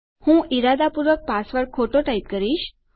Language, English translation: Gujarati, Ill type my password wrong on purpose